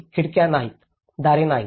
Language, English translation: Marathi, There is no windows, there is no doors nothing